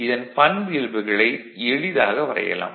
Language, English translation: Tamil, So, this characteristic, you can easily draw